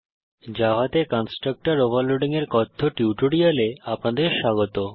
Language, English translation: Bengali, Welcome to the Spoken Tutorial on constructor overloading in java